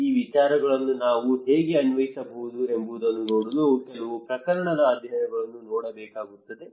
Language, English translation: Kannada, Some of the case studies to see that how we can apply these ideas okay